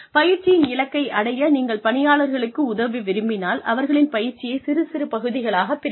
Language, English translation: Tamil, If you help the employees, break up this goal, of going through their training, into smaller parts